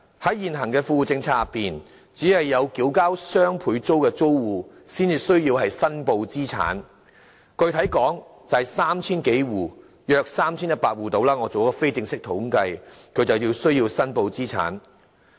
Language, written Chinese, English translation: Cantonese, 在現行的富戶政策之下，只有支付雙倍租金的租戶才需要申報資產，我做了非正式統計，具體而言，約有 3,100 戶需要申報資產。, Well under the existing Well - off Tenants Policies only those households paying double rent are required to declare their assets . According to the informal statistics compiled by myself specifically speaking around 3 100 households are required to declare their assets